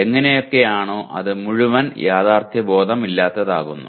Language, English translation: Malayalam, Somehow it makes the whole thing is what do you call unrealistic